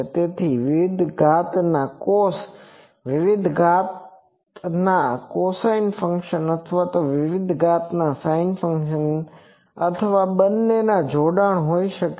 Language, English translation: Gujarati, So, it can be various cos cosine various orders of cosine functions or various orders of sin function or combination of both etc